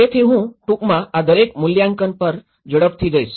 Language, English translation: Gujarati, So, I will briefly go through each of these scales very quickly